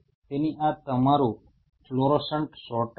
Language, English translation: Gujarati, So, this is your fluorescent sorter